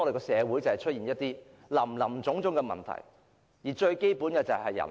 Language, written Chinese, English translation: Cantonese, 社會出現林林總總的問題，根源是人口。, The root of all problems in society is related to the population